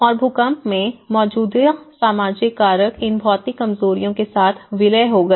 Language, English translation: Hindi, And in the earthquake, the existing social factors merged with these physical vulnerabilities